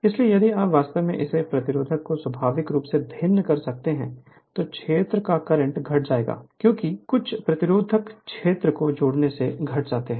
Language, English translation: Hindi, So, if you if you can vary this resistance naturally, the field current will decrease right because, you are adding some resistance field current will decrease